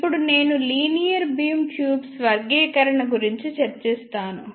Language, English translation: Telugu, Now, I will discuss classification of linear beam tubes